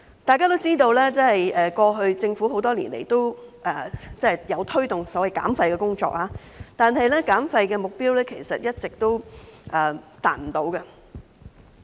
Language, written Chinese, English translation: Cantonese, 大家也知道，政府過去多年也有推動所謂減廢的工作，但減廢目標其實一直未能達到。, As we all know in the past years the Government had promoted the so - called waste reduction work yet the target of waste reduction had never been achieved